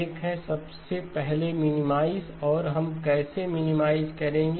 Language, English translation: Hindi, One is; first of all minimize and how would we minimize